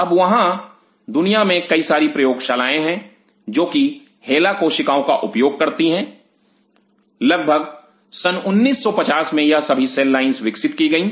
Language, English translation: Hindi, Now, there are several labs in the world who use hela cells somewhere in 19 50 these whole cells line has developed